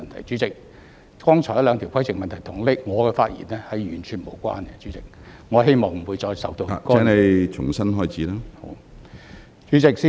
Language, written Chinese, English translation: Cantonese, 主席，剛才兩項規程問題與我的發言完全無關，我希望不會再受到干擾。, President the two points of order raised just now had nothing to do with my speech . It is my hope to be free from further interruptions